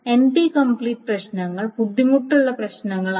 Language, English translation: Malayalam, So, NP complete problems are typically thought of as hard problems